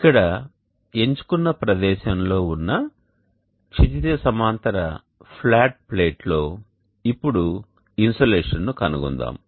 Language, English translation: Telugu, Let us now find the insulation on a horizontal flat plate located at the chosen locality here